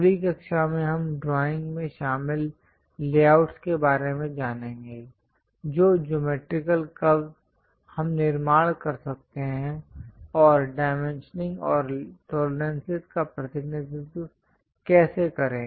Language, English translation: Hindi, In the next class, we will learn about layouts involved for drawing, what are the geometrical curves we can construct, how to represent dimensioning and tolerances